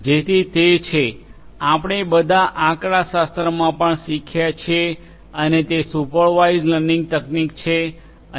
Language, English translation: Gujarati, So, that is the; you know we have all learnt in statistics also and that is the supervised learning technique and